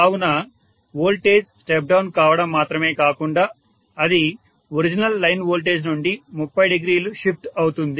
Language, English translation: Telugu, So not only the voltage is step down but it is also shifted from the original line voltage by 30 degrees